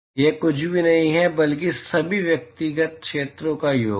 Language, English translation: Hindi, That is nothing, but sum of all the individual areas